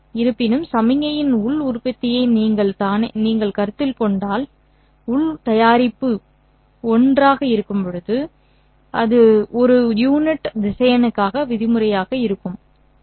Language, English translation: Tamil, However, if you consider the inner product of the signal with itself, you will end up having that inner product equal to 1, just as that would be the norm for a unit vector